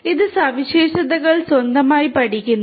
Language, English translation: Malayalam, It learns the features on its own